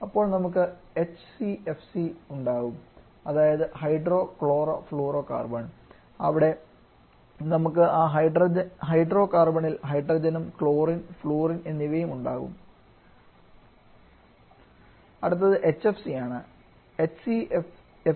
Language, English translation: Malayalam, Then we can also have HCFC that is hydro chlorofluorocarbon where we have hydrogen also along with chlorine and fluorine in that hydrocarbon